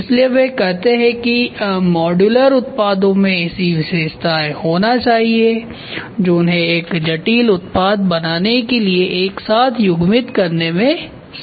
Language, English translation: Hindi, So, that is what they say modular products must have features that enable them to be coupled together to form a complex product